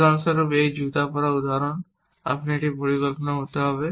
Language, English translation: Bengali, Like for example, in this shoe wearing example, but that would still be a plan